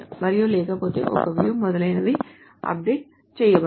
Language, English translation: Telugu, And otherwise a view is not very much updatable, etc